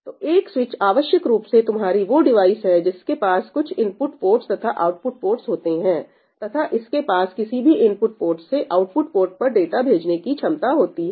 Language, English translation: Hindi, a switch is essentially your device, which has some input ports and some output ports and it has the capability of redirecting data from any of the input ports to output ports